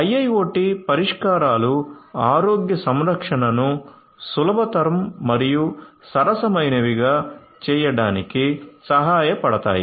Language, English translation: Telugu, So, IIoT solutions can help in making healthcare easier, affordable and so on